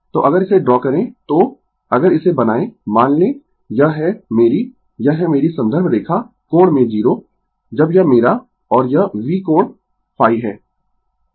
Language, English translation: Hindi, So, if you draw this so, if we make it suppose this is my I, this is my reference line angle in 0 when this my I, and this is V angle phi